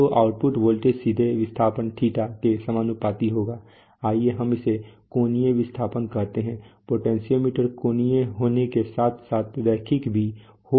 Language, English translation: Hindi, So the output voltage will be directly proportional to the displacement θ, let us say angular displacement in this case if potentiometers can be angular as well as linear